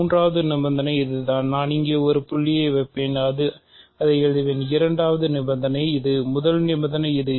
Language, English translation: Tamil, So, the third condition is this, I will write it as maybe I will just put a dot here, second condition is this, first condition is this